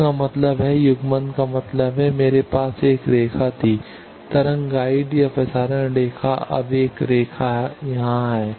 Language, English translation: Hindi, That means, coupling means I had a line, wave guide or transmission line now another line is here